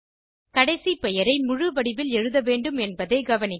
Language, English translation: Tamil, Note that the last name must be written in its full form